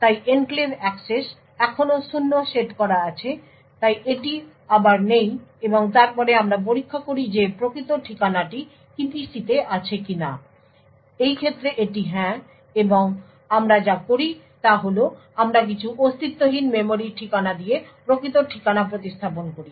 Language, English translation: Bengali, so enclave access is set still set to zero so it is no again and then we check whether the physical address is in the EPC in this case it is yes and what we do is that we replace the physical address with some non existent memory address essentially we are going to actually fill in some garbage and permit the access